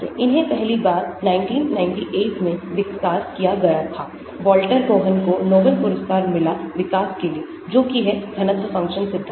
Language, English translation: Hindi, these are first developed in 1998, Walter Kohn Nobel Prize in Chemistry for his development of this density functional theory